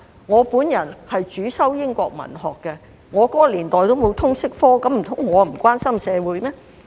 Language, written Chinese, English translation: Cantonese, 我主修英國文學，那個年代並沒有通識科，難道我便不關心社會嗎？, I majored in English Literature and there was no LS subject in my time . Dont I care about society?